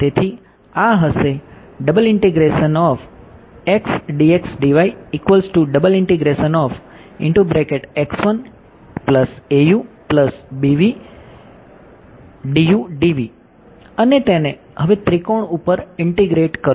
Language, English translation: Gujarati, So, supposing I got x integrated over this triangle